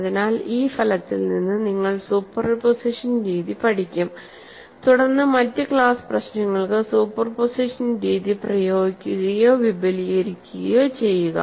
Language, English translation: Malayalam, So, you learned the no answers of method of superposition from this result, then apply or extend method of superposition for other class of problems